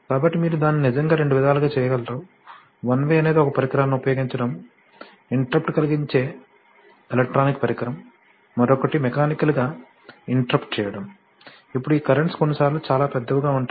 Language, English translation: Telugu, So, you could actually do it in two ways, one way is to use a device, electronic device which will interrupt, another is to do a mechanical interrupter, now since these currents can be sometimes very large